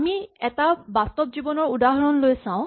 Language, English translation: Assamese, Let us look at a real life example